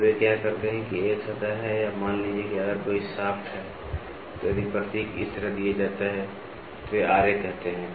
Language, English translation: Hindi, So, what they do is there is a surface or suppose if there is a shaft, so if the symbol is given like this, so they say Ra